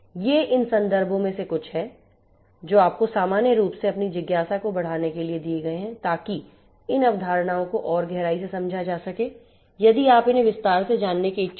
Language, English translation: Hindi, These are some of these references which have been given to you as usual for you know growing your curiosity further in order to understand these concepts in further depth if you are further interested to know them in detail